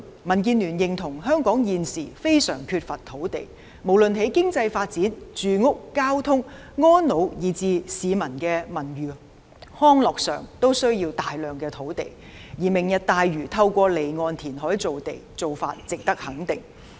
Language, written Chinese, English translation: Cantonese, 民建聯認同香港現時非常缺乏土地，無論在經濟發展、住屋交通、安老以至市民的文娛康樂都需要大量土地，而"明日大嶼"透過離岸填海造地，做法值得肯定。, DAB agrees that the problem of land shortage in Hong Kong is very serious because we require a lot of land for economic development housing and transport elderly service and cultural and recreational activities for the public . The initiative of Lantau Tomorrow is about off - shore land reclamation and is worthy of recognition